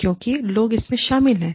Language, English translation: Hindi, Because, people are involved